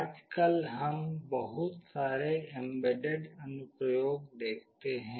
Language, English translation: Hindi, Nowadays we see lot of embedded applications